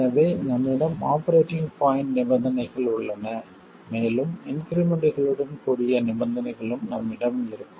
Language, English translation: Tamil, So, we have the operating point conditions here and we will have conditions with the increments